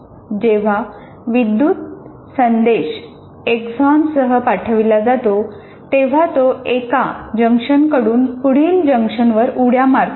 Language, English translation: Marathi, When an electrical signal is sent along the axon, what it does is it kind of jumps from here to the next junction from here to this